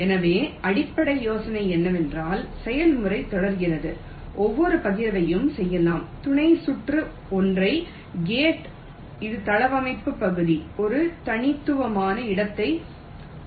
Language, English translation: Tamil, so the basic idea is that the process is continued till, let say, each of the partition sub circuit is single gate which has a unique place on the layout area